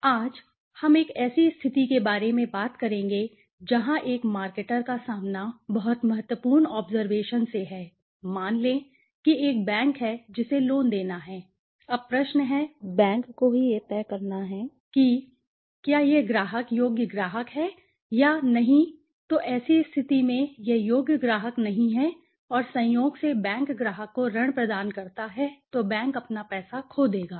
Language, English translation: Hindi, But today, we will talk about a situation where a marketer is faced with very important observation, let us say there is a bank which has to give a loan okay, now the question is the bank as to decide whether the client is worthy client or not right so in such situation if it is not a worthy client and by chance the bank offers a loan to the client then the bank will lose its money right